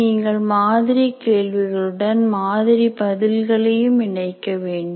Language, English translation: Tamil, Actually, along with the sample problem, you should also include this sample answer